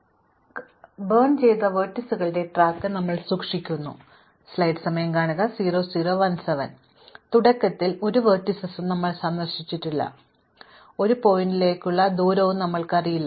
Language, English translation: Malayalam, So, we keep track of vertices which have burnt or visited initially nothing is visited and initially we do not know any distance to any vertex